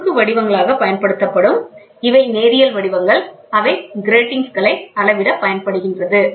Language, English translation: Tamil, So, these are cross patterns which are used, these are linear patterns which are used to measure the gratings